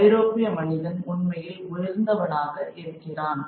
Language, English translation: Tamil, And the European man is really the supreme